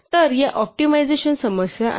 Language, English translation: Marathi, So, these are optimization problems